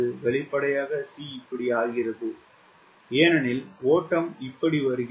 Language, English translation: Tamil, c apparently becomes this because the flow is coming like this